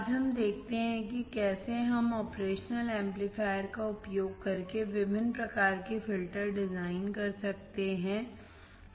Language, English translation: Hindi, Today, let us see how we can design different kind of filters using the operational amplifier